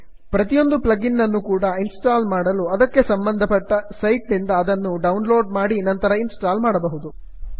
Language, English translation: Kannada, Each plug in has to be downloaded from the relevant website and then install on your computer